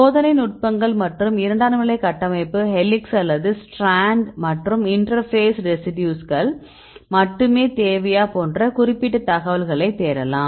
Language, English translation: Tamil, And you can search with experimental techniques and specific secondary structure helix or strand and also you can see whether you need only the interface residues